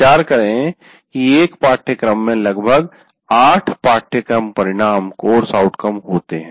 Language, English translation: Hindi, Let us consider there are about eight course outcomes that we do